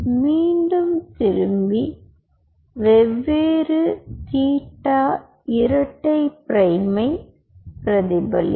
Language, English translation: Tamil, it will bounce back at a different theta double prime